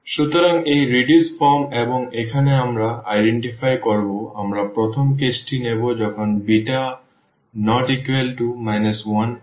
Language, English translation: Bengali, So, this is the reduced form and now we will identify we will take the first case when beta is not equal to 1